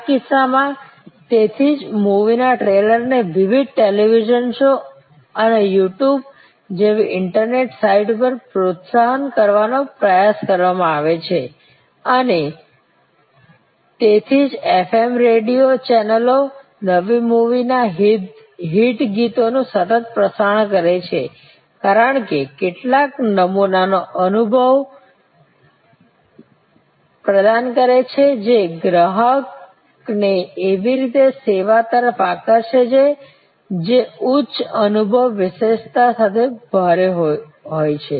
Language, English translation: Gujarati, In this case that is why movie is try to promote that trailers to various television shows and internet sites like YouTube and so on that is why the FM radio channels continuously broadcast the hit songs of a new movie, because it provides some sample experience that attracts the customer to a service which is heavy with high in experience attribute